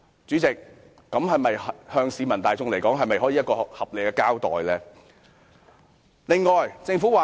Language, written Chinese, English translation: Cantonese, 這對市民大眾來說是否一個合理的交代？, To the general public is this a reasonable account?